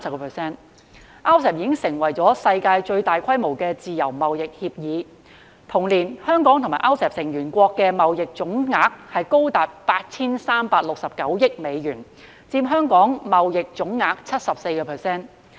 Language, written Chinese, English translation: Cantonese, RCEP 已經成為世界最大規模的自由貿易協定；同年，香港與 RCEP 成員國的貿易總額高達 8,369 億美元，佔香港貿易總額 74%。, RCEP has become the worlds largest free trade agreement; in the same year the total trade between Hong Kong and RCEP member countries reached US836.9 billion accounting for 74 % of Hong Kongs total trade